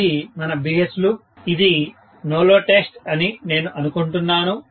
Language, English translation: Telugu, This is actually the BH loop, I think this is the no load test